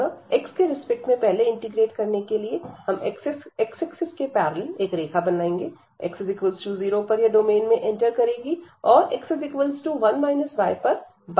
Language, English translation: Hindi, So, for integrating first with respect to x, we will have the limits for the x, so we will draw a line parallel to this x axis and that enters here x is equal to 0